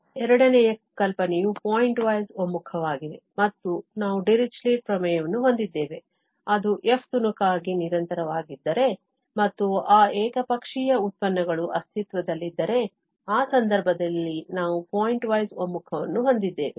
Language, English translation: Kannada, The second notion was the pointwise convergence and we have the Dirichlet theorem which says that if f is piecewise continuous and those one sided derivatives exist, then, in that case, we have the pointwise convergence